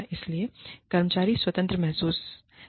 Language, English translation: Hindi, So, the employees feel free